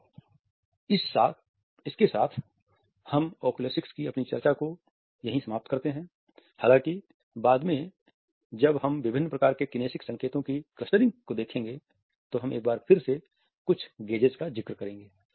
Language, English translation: Hindi, So, with this we end our discussion of oculesics; however, later on when we will look at the clustering of different types of kinesics signals, we would be referring to some gazes once again